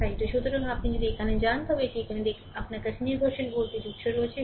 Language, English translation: Bengali, So, here if you go to this that it is look here, you have a dependent voltage source right